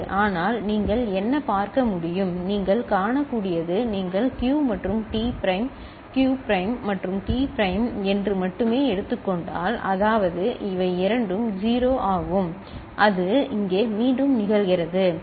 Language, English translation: Tamil, But what you can see, what you can see right that if you take only say Q and T prime Q prime and T prime – that means, both of them are 0, that is occurring again over here, right